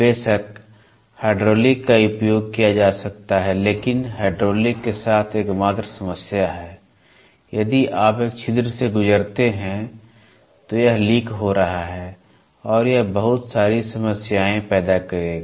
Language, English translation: Hindi, Of course, hydraulic can be used but the only problem is hydraulic if you pass through an orifice it is leaking and it will create lot of problem